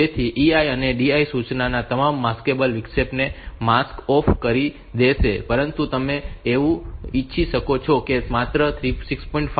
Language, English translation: Gujarati, So, E I or D I instruction will mask off all the interrupt all the Maskable interrupt, but you may want that only say 6